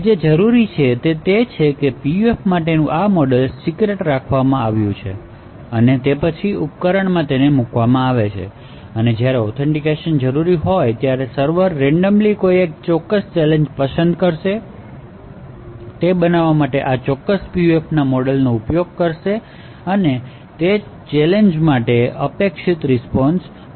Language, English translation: Gujarati, So what is required is that this model for the PUF is kept secret and then the device is actually fielded and when authentication is required, the server would randomly choose a particular challenge, it would use this model of this particular PUF to create what is the expected response for that particular challenge